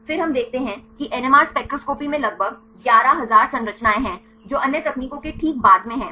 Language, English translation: Hindi, Then we see NMR spectroscopy there is about 11,000 structures right followed by the other techniques